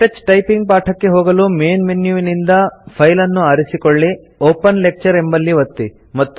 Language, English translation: Kannada, To go back to the KTouch typing lessons,from the Main menu, select File, click Open Lecture